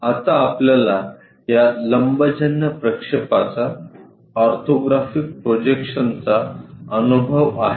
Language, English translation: Marathi, So, now we will have hands on experience for this orthographic projections